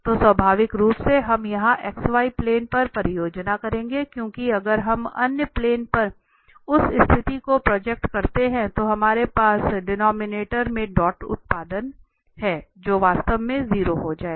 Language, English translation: Hindi, So here naturally we will project here on the x y plane, because if we project on the other planes that condition which we have in the denominator the dot product that may become 0, so we will or will become 0 actually